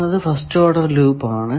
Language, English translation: Malayalam, The first thing is called first order loop